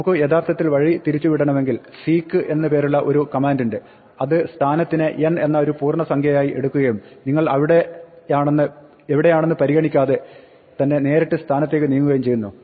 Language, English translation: Malayalam, In case we want to actually divert from the strategy there is a command seek, which takes a position, an integer n, and moves directly to the position n regardless of where you are